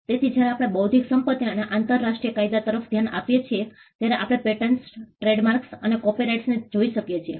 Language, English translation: Gujarati, So, when we look at intellectual property and international law, we can look at patterns, trademarks and copyrights